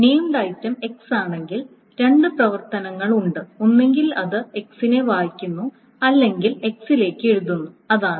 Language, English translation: Malayalam, So if the named item is suppose X, then there are two operations either it reads X or it writes to X